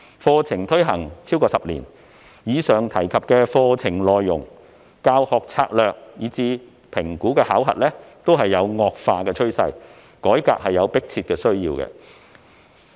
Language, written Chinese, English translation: Cantonese, 課程已推行超過10年，在課程內容、教學策略以至評估考核方面都有惡化的趨勢，因此有迫切需要進行改革。, After the curriculum has been implemented for more than a decade problems relating to its content teaching strategies and even assessment are getting worse . There is an urgent need to reform the subject